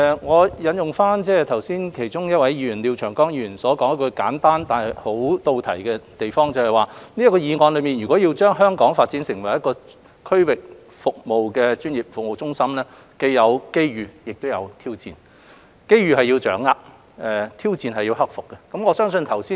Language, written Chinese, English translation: Cantonese, 我引用其中一位發言的廖長江議員所提出的一個簡單但切題的意見，就是若要將香港發展成為區域專業服務中心，當中既有機遇，亦有挑戰；機遇是要掌握，挑戰是要克服。, Let me quote a simple but pertinent point made by one of the speakers Mr Martin LIAO that is there will be both opportunities and challenges if Hong Kong is to be developed into a regional professional services hub where opportunities must be grasped and challenges overcome